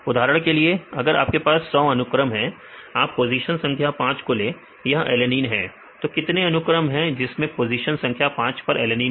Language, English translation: Hindi, For example if you have the 100 sequences, about 100 sequences take position number 5 it is alanine, how many sequences they have alanine in the position number 5